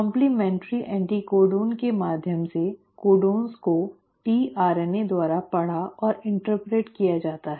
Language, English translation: Hindi, The codons are read and interpreted by tRNA by the means of complementary anticodon